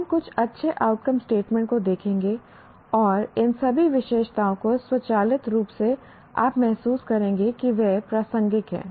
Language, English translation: Hindi, We will look at some good outcome statements and all these features will automatically will feel they are relevant